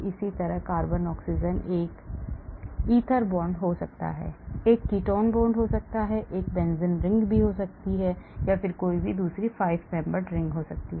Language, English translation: Hindi, similarly carbon oxygen can be an ether bond, can be a ketone bond, can be in a benzene ring, can be in a 5 membered ring